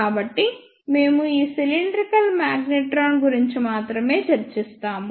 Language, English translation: Telugu, So, we will discuss only this one cylindrical magnetron